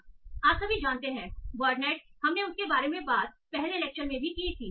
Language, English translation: Hindi, So all of you know word net, we talked about that in one of the earlier lectures